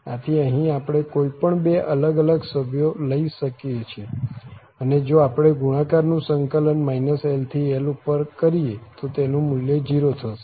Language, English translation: Gujarati, So, you can take any two different members here and the product if integrated over from minus l to l the value will be 0